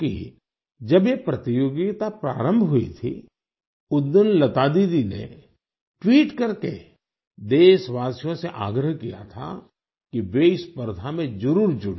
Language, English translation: Hindi, Because on the day that this competition had started, Lata Didi had urged the countrymen by tweeting that they must join this endeavour